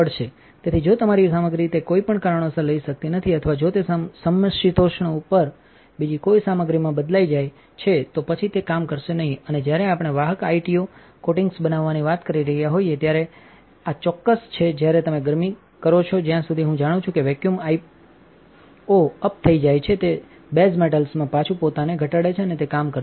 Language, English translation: Gujarati, So, if your material cannot take it for whatever reason or if it changes into another material at that temperature, then this is not it going to work and when we are talking about making conductive ITO coatings this is definitely the case where if you heat IT IO up in a vacuum as far as I know it reduces itself back down to base metals and it does not work